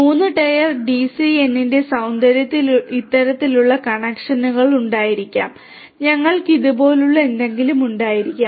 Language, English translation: Malayalam, The beauty of a 3 tier DCN would be to have connections of this sort right you could also have something like this and so on